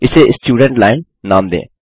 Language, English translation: Hindi, Let us name this the Students line